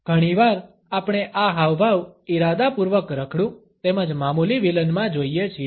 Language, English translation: Gujarati, Often we come across this gesture deliberately in tramps as well as in petty villains